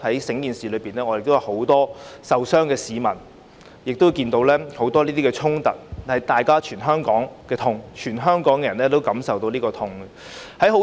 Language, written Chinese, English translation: Cantonese, 在事件中亦有很多受傷的市民，亦有很多衝突，它是全香港的痛，全香港人也感受到這份痛。, In the incident many members of the public were injured and there were many clashes . It is an agony to Hong Kong as a whole an agony felt by all the people of Hong Kong